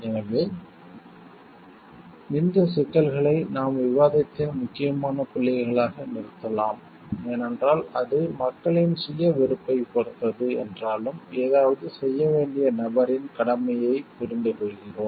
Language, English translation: Tamil, So, that we can stop these issues are important points of discussion, because though we are telling like it depends on the self responsibility of the people it understands the duty of the person to do something